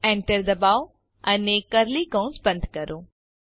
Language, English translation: Gujarati, Enter and close curly bracket